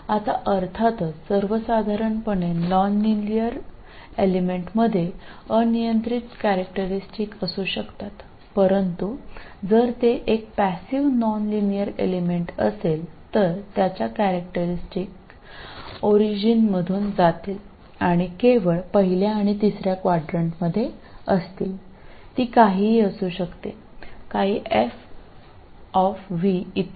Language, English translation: Marathi, Now of course a general nonlinear element can have arbitrary characteristics but if it is a passive nonlinear element it is going to have characteristics which are going to pass through the origin and be only in the first and third board